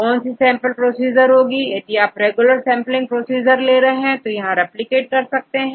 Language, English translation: Hindi, So, what are the sampling procedure did you want right this is a regular sampling procedure, and here replicates right